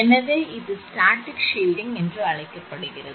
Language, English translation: Tamil, So, what is that this is called static shielding